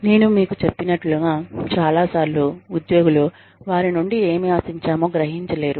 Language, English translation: Telugu, Like i told you, many times, employees do not realize, what is expected of them